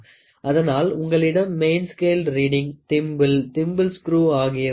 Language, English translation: Tamil, So, you will have a main scale reading, you will have a thimble, thimble screw